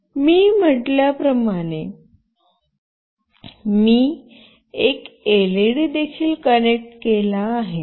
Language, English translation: Marathi, Now as I said I have also connected an LED